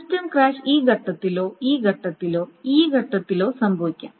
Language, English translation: Malayalam, Now the system crash may happen at this stage or this stage or this stage